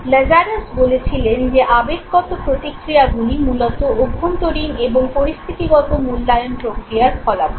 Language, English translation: Bengali, Now Lazarus now said that emotional responses are basically outcome of internal and situational appraisal processes okay